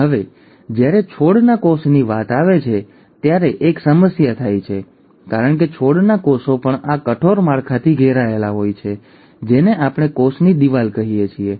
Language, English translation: Gujarati, Now, there is a issue when it comes to plant cells because the plant cells are also surrounded by this rigid structure which is what we call as the cell wall